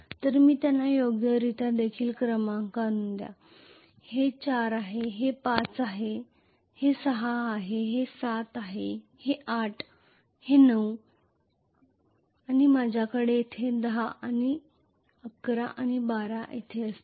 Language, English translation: Marathi, So let me number them also correctly this is 4 this is 5 this is 6 this is 7 this is 8 this is 9 and I am going to have 10 here 11 here and 12 here